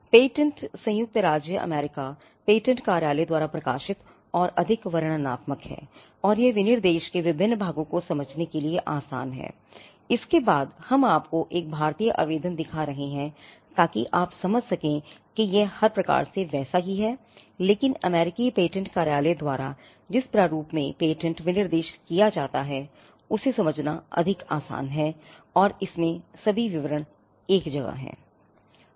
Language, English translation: Hindi, We are using this as an example because these are the published patent applications and for the sake of illustration, the patents published by the United States patent office are much more descriptive and it is easier to understand the various parts of the specification, following this we will also be showing you an Indian application so that you can understand it is by and large the same, but the formatting in which the patent specification is done by the US patent office is much more easier to understand and it has all the details in one place